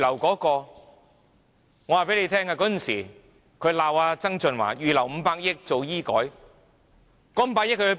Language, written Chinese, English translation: Cantonese, 我告訴大家，當時他們罵曾俊華預留500億元進行醫改，那500億元在哪裏？, I can tell you that back then they criticized John TSANG for ear - marking 50 billion for medical reform . Where has that 50 billion gone?